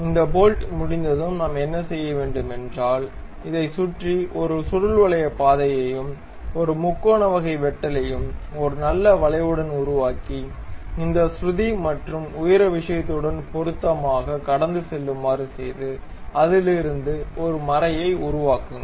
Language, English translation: Tamil, So, once this bolt is done what we can do is we make a helical path around this and a triangular kind of cut with a nice curvature and pass with match with this pitch and height thing and make a thread out of it